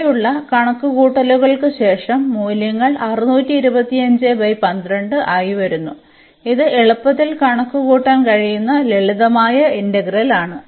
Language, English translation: Malayalam, And, after the calculations here the values are coming as a 625 by 12 it is a simple integral one can easily compute